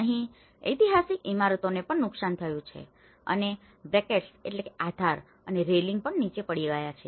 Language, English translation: Gujarati, There is also the historic building which has been damaged and the brackets have been fallen down and the railing have fallen down